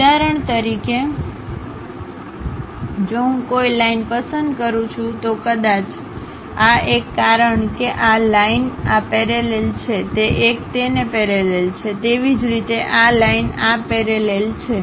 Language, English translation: Gujarati, For example, if I am going to pick a line maybe this one; because this line is parallel to this one is parallel to that, similarly this line parallel to this line